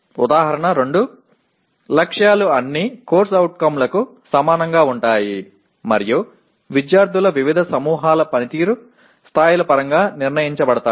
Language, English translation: Telugu, Example 2, targets are the same for all COs and are set in terms of performance levels of different groups of students